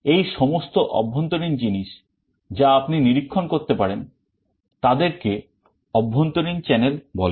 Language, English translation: Bengali, So, all these internal things you can monitor; these are called internal channels